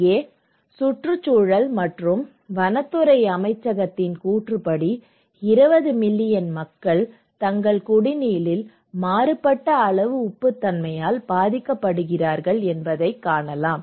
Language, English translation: Tamil, Now, here you can see that a Ministry of Environment and Forests, 20 million people affected by varying degree of salinity in their drinking water okay